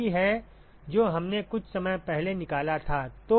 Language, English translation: Hindi, This is what we derived a short while ago